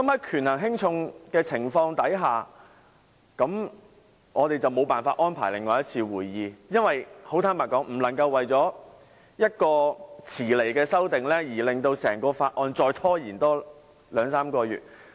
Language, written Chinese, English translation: Cantonese, 權衡輕重之下，我們無法安排另一次會議，很坦白說，因為不能為了一項遲來的修訂而令整個審議程序再拖延兩三個月。, I did weigh the pros and cons and concluded that another meeting could not be arranged . Honestly it is undesirable to delay the processing of the Bill for two to three months due to a late submission of amendments